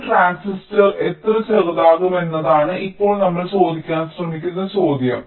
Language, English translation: Malayalam, now the question that we are trying to ask is that: well, how small can transistors b